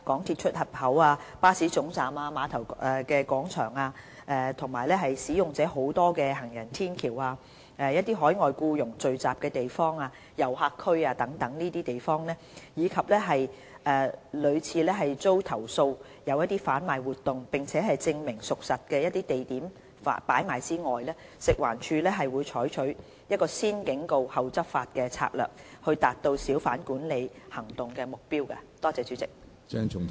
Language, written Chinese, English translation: Cantonese, 一般而言，除在公眾地方售賣禁售、限制出售的食物或熟食或在主要通道、行人絡繹不絕的地方，以及屢遭投訴有販賣活動並證明屬實的地點擺賣外，食環署會採取"先警告後執法"的策略，以達到小販管理行動的目標。, Generally speaking except for the sale of prohibitedrestricted or cooked food and hawking in major thoroughfares areas of high pedestrian flow and places under substantiated and repeated complaints of hawking activities FEHD will adopt the disperse or else we would arrest tactic to achieve the objective of hawker management operations